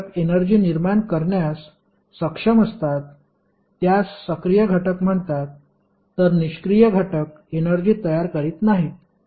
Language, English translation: Marathi, The element which is capable of generating energy while the passive element does not generate the energy